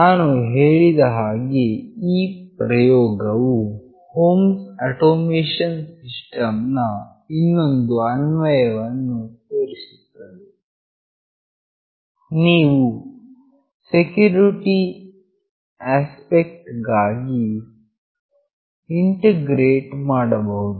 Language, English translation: Kannada, As I said this experiment demonstrates another application of home automation system; it can be integrated for the security aspect